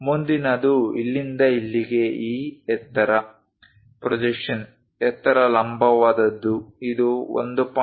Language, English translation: Kannada, The next one is from here to here this height, the projection height vertical thing this is 1